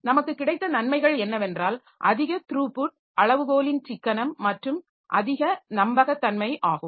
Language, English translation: Tamil, So, the advantages that we have is that increased throughput, economy of scale and increased reliability